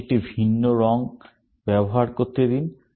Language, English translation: Bengali, Let me use a different color